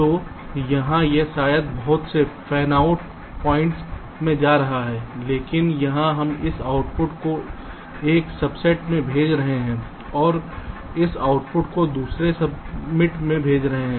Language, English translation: Hindi, so here it maybe going to many of the fanout points, but here we are sending this output to a subset and this output to the other subset